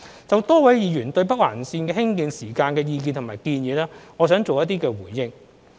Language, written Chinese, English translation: Cantonese, 就多位議員對北環綫興建時間的意見及建議，我想作出回應。, In respect of various Members views and advice on the time of constructing NOL I would like to give my response